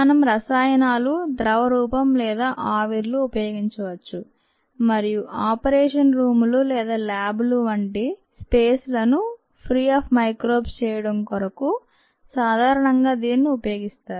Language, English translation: Telugu, you could use chemicals, liquids or vapours, and that is what is typically done to sterilize spaces such as the operation rooms or labs, for example labs